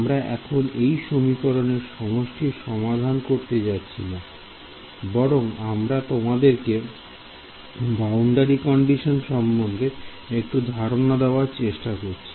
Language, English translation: Bengali, So, in right now we would not go into actually solving the system of equations, because I want to tell you a little bit give you give you an example of a boundary condition